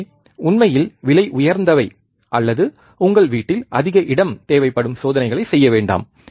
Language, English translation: Tamil, So, do not do experiments are really costly or which consumes lot of space in your home